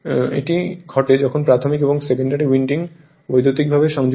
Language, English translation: Bengali, When the when the primary and secondary winding are electrically connected